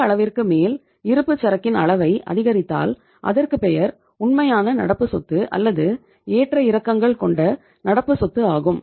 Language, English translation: Tamil, After that if you take up the level of inventory then that will be called as the real current asset or fluctuating current assets